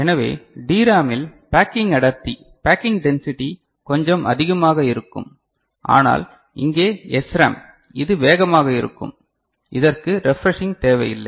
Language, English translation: Tamil, So, in DRAM the packing density will be a little bit what is that called more, but here SRAM it will be faster and it is this refreshing, is not required